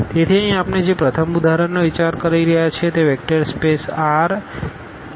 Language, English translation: Gujarati, So, here the first example we are considering that is the vector space R n over R